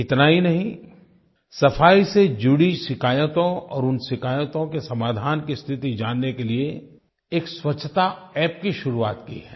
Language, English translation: Hindi, Not only this, a cleanliness, that is Swachchhata App has been launched for people to lodge complaints concerning cleanliness and also to know about the progress in resolving these complaints